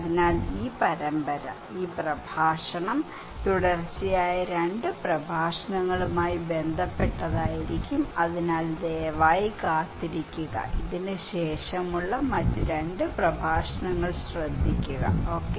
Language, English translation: Malayalam, So, this series; this lecture would be in relationship with another two successive lectures, so please stay tuned and listen the other two lectures after this one, okay